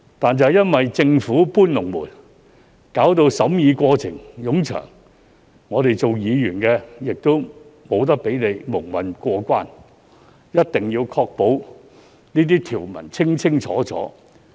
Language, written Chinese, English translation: Cantonese, 但因為政府"搬籠門"，令審議過程冗長，我們作為議員不能讓他們蒙混過關，必須確保相關條文清清楚楚。, However as the Government has been moving the goalposts the scrutiny process has been lengthy . As Members we will not let the Government muddle through and we must ensure that the relevant provisions are very clear with no ambiguities